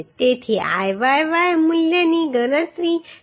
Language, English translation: Gujarati, So Iyy value can be calculated as 59